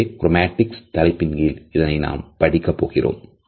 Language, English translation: Tamil, So, these aspects we would study under chromatics